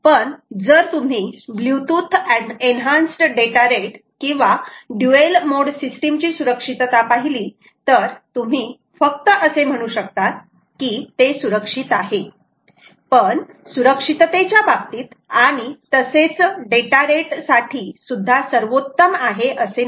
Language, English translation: Marathi, so if you look at the security of bluetooth, ah, enhanced data rate or dual mode, there is security, but its you can simply say its security, its secure, secure, but not really ah, the superior in terms of security and data rates